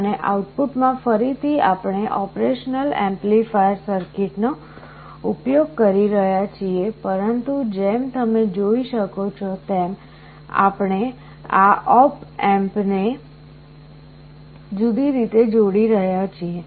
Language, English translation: Gujarati, And in the output again, we are using an operational amplifier circuit, but we are connecting this op amp in a different way as you can see